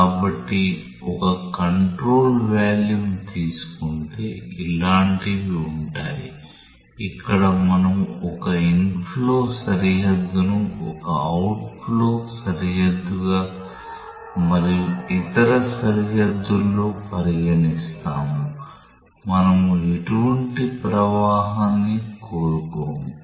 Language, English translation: Telugu, So, if take a control volume say something like this where we consider one inflow boundary one outflow boundary and across other boundaries, we do not want any flow